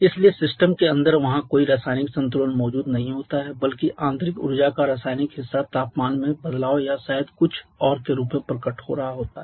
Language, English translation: Hindi, Therefore there is no kind no chemical equilibrium present in there inside the system rather the chemical part of the internal energy is getting manifested in the form of probably some change in temperature or something else